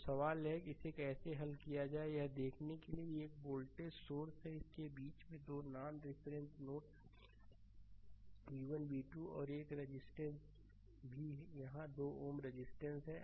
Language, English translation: Hindi, So, question is how to solve it look one voltage source is there eh in between you have 2 non reference node v 1 v 2 and one resistance is also here 2 ohm resistance right